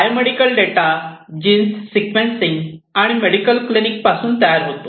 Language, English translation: Marathi, Biomedical data, data that are generated from gene sequencing, from medical clinics